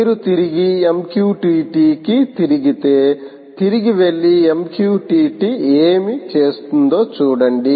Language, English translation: Telugu, if you turn back to mqtt again, go back and look at what mqtt does